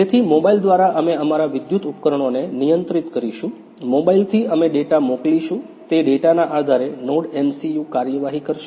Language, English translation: Gujarati, So, through mobile we will control our electrical appliances, from mobile we will send the data, based on that data, NodeMCU will take the action